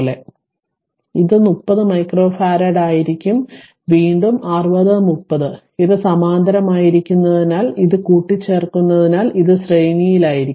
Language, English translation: Malayalam, So, this will be 30 micro farads and again we will see 60 and 30 if you have make it add it up because they are in parallel